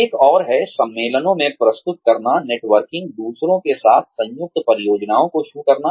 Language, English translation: Hindi, Another one is, presenting at conferences, networking, undertaking joint projects with others